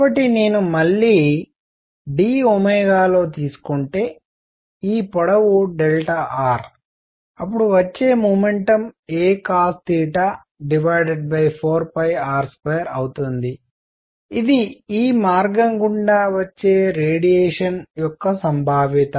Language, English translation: Telugu, So, if I take again in d omega; this length delta r; then the momentum coming in is going to be a cosine theta over 4 pi r square, which is probability of the radiation coming this way